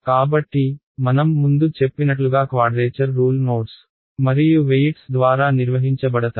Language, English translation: Telugu, So, as I have mentioned before a quadrature rule is defined by the nodes and the weights